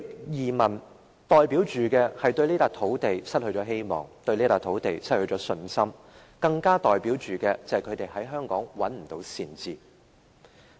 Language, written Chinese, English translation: Cantonese, 移民代表對這片土地失去希望，對這片土地失去信心，更代表他們在香港找不到善治。, Emigration represents their loss of hope and confidence in this piece of land . It also means they could not find good governance in Hong Kong